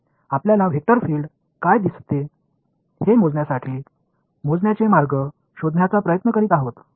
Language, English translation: Marathi, We are trying to get ways of quantifying measuring what a vector field looks like what it does